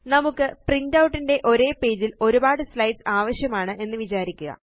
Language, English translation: Malayalam, Lets say you want to have a number of slides in the same page of the printout